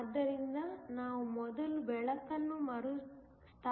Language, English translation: Kannada, So, we will first replot the light